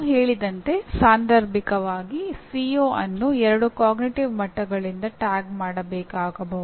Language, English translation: Kannada, As we said occasionally a CO may have to be tagged by two cognitive levels